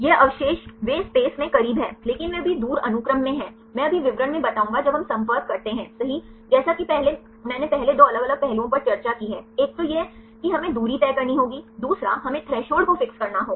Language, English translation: Hindi, These residues they are close in space, but they far away in the sequence right I will explain in the details now when we make the contact right as I discussed earlier the 2 different aspects, one is we need to fix the distance second one we need to fix the threshold